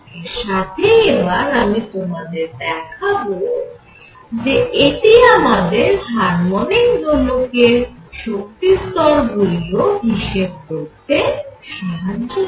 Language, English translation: Bengali, In addition, now I am going to show you that will give me the energy levels of a harmonic oscillator also